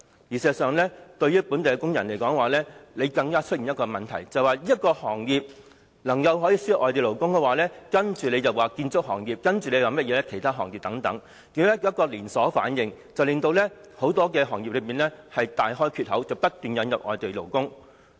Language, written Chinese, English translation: Cantonese, 事實上，本地工人更要面對多一重憂慮，便是如果這個行業可以輸入外地勞工的話，接着在建築業或其他行業便會出現連鎖反應，導致很多行業大開缺口，不斷引入外地勞工。, In fact local workers may face another kind of worries that is if this particular industry can import labour a chain reaction in the construction industry or other industries will ensue exposing many industries to incessant import of labour